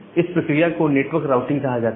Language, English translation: Hindi, So, this particular methodology is termed as network routing